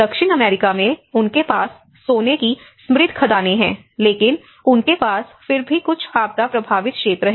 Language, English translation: Hindi, In South America, they have rich gold mines, but they have again some disaster affected areas